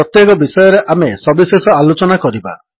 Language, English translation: Odia, We will discuss each one of them in detail